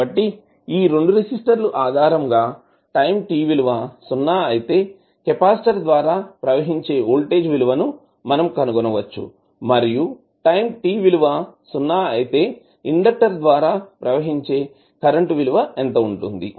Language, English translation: Telugu, So based on these 2 resistances we can find what will be the value of voltage across capacitor at time t is equal to 0 and what will be the value of current which is flowing through the inductor at time t is equal to 0